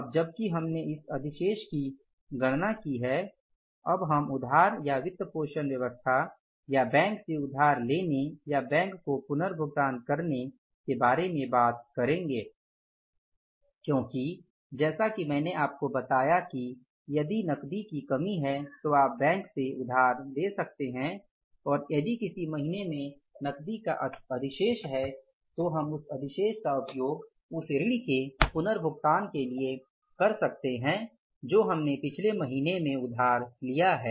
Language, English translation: Hindi, So, now this surplus we have calculated, this excess of the cash we have calculated and now we will talk about the borrowing or the financing arrangement or the borrowing from the bank or means making the repayment to the bank because as I told you that if there is a shortfall of the cash here you can borrow from the bank and if there is a surplus of the cash in any of the month then we can make use of their surplus for the repayment of the loan which we have borrowed in the previous month